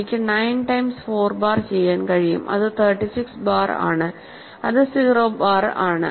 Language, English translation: Malayalam, So, I can also do 9 times 4 bar which is 36 bar which is 0 bar